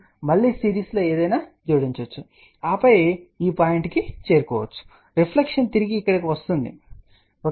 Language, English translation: Telugu, You can again add something in series and then reach to this point take care reflection come back over here